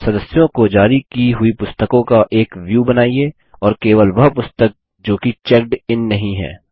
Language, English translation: Hindi, Create a View of Books Issued to Members and only those books that are not checked in